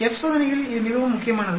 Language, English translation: Tamil, This is very key in F test